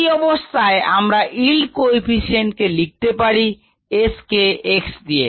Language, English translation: Bengali, we can use the yield coefficient to write s in terms of x